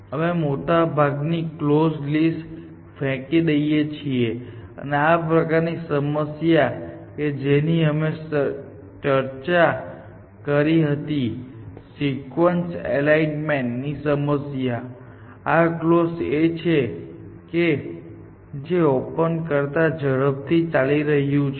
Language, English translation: Gujarati, So, we are thrown away most of the close list and in the kind of problems that we discussed the sequence alignment problems it is close which is going faster